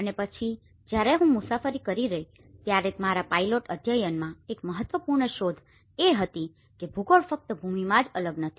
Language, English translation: Gujarati, And then, while I was travelling one of the important finding in my pilot study was the geography is very different not only in land